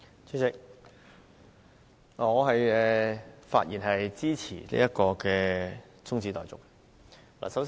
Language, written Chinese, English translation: Cantonese, 主席，我發言支持中止待續議案。, President I speak in support of the adjournment motion